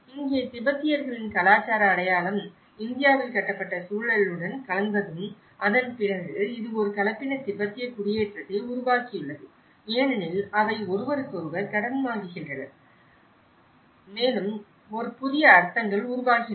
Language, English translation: Tamil, Here, the cultural identity of Tibetans when it gets mixed with the built environment in India and then and that is where this has produced a hybrid Tibetan settlement because they borrow from each other and that is how a new meanings are produced